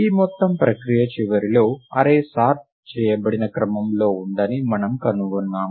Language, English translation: Telugu, At the end of this whole procedure we find that the array is in sorted order